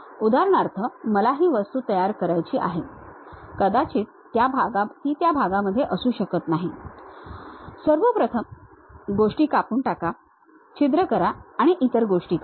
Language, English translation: Marathi, For example, I want to construct this object, I may not be in a portion of a straight away first of all cut the things, make holes and other thing